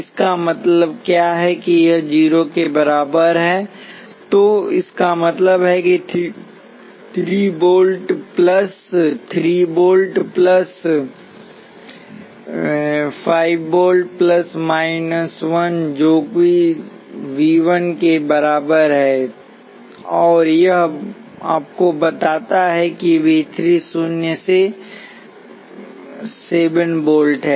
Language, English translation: Hindi, What does it mean this is equal to 0 so that means, that 3 volts plus V 3 plus 5 volts which is V 4 minus 1 volt which is V 1 equal to 0, and this tells you that V 3 is minus 7 volts